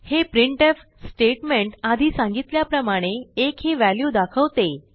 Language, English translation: Marathi, This printf statement outputs the value of 1 as explained previously